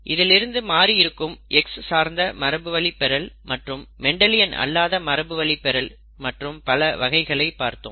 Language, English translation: Tamil, After that we saw some variations such as X linked inheritance of disorders and the non Mendelian inheritance characteristics, very many different kinds of those, okay